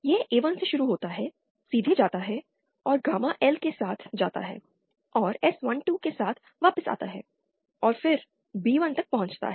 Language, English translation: Hindi, It starts from A1, goes straight and go along gamma L and come back along S12 and then reaching B1